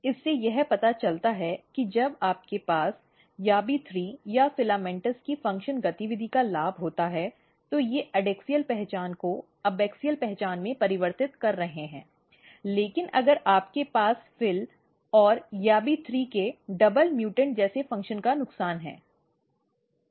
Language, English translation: Hindi, So, this suggest that when you have a gain of function activity of YABBY3 or FILAMENTOUS basically they are converting adaxial identity to abaxial identity, but if you look the loss of function